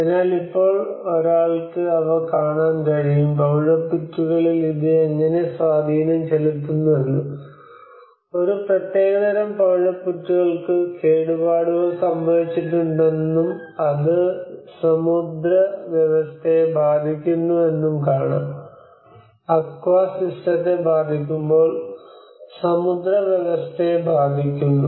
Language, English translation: Malayalam, So now one can see them, one can witness how it has an impact on the coral reefs you know one certain coral reef has been damaged and obviously it affects the marine system, the marine system is affected when aqua system is affected